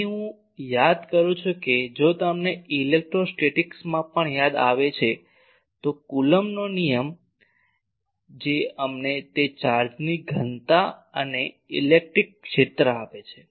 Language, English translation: Gujarati, Here; I recall that if you remember in electrostatics also the Coulomb’s law that gives us that charge density and electric field